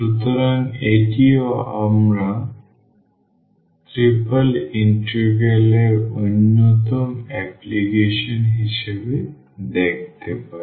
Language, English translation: Bengali, So, that also we can look into as one of the applications of the triple integral